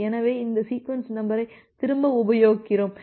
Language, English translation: Tamil, So, this is the repeated sequence number